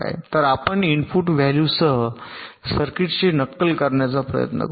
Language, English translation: Marathi, so lets try to simulate the circuit with the input value